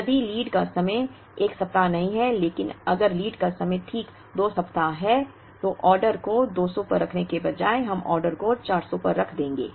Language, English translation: Hindi, If lead time is not 1 week but if the lead time is exactly 2 weeks, then instead of placing the order at 200 we would place the order at 400